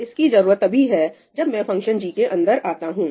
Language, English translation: Hindi, Now, what happens when it comes to the function g